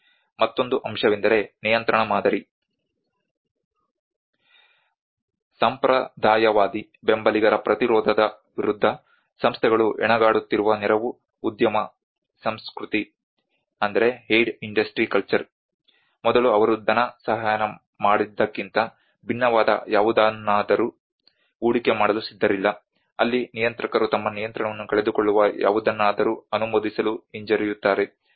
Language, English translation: Kannada, Another aspect is a control paradigm, The aid industry culture where organizations struggle against the resistance of conservative supporters unwilling to invest in anything different from what they have funded before where regulators are reluctant to approve anything they may lose control over